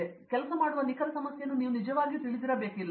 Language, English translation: Kannada, You don’t have to really know the exact problem you will be working on